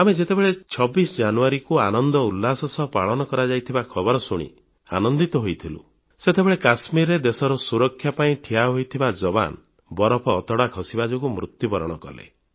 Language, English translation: Odia, While we were all delighted with the tidings of enthusiasm and celebration of 26th January, at the same time, some of our army Jawans posted in Kashmir for the defense of the country, achieved martyrdom due to the avalanche